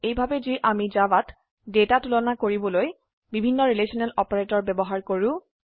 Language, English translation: Assamese, This is how we use the various relational operators to compare data in Java